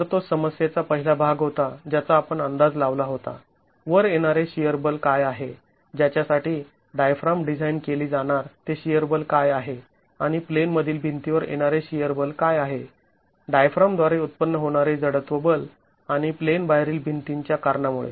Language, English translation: Marathi, Okay, so that's the shear force, so that was the first part of the problem that we had to estimate what is the shear force coming onto the, what is the shear force for which the diaphragm has to be designed and what is the shear force that comes onto the in plain wall because of the inertial forces generated by the diaphragm and the out of plane walls